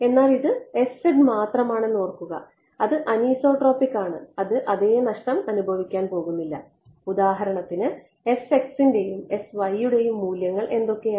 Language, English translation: Malayalam, But remember that this is s z only right it is anisotropic its not be its not the it's not going to experience the same loss for example, s x and s y what are the values of s x and s y one right